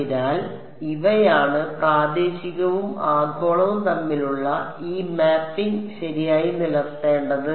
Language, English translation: Malayalam, So, these are this mapping between local and global should be maintained ok